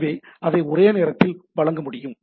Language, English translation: Tamil, So, that can be served concurrently